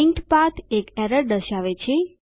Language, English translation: Gujarati, The linked path shows an error